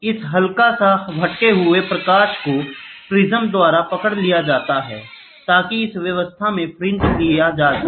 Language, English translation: Hindi, This slight shifting light is captured by another prism so that the fringes can be done; so, that the fringes can be taken in this setup